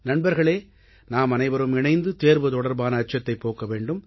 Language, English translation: Tamil, Friends, we have to banish the fear of examinations collectively